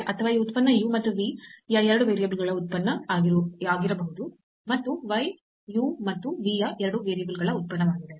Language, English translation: Kannada, Or this could be that this function x is a function of 2 variables again u and v and y is a function again of 2 variables u and v